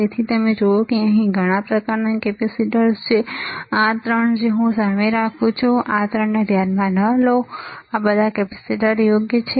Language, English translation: Gujarati, So, you see there are several kind of capacitors here, this three that I am keeping in front not consider this three all these are capacitors right